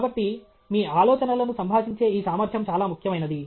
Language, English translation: Telugu, So, this ability to communicate your ideas is very, very important